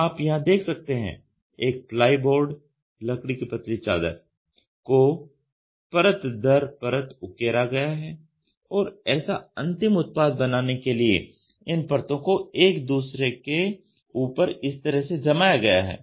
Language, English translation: Hindi, You can see here a plywood a thin wood sheet is carved layer by layer and it is fixed one upon each other to get a final product like this